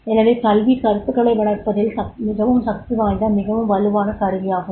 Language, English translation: Tamil, So, education is more powerful, more strong instrument in developing the concepts